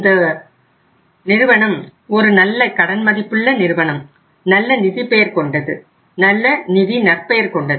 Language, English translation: Tamil, This is a good creditworthy firm having a good financial reputation